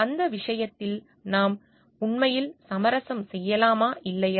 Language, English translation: Tamil, Can we really compromise on that part or not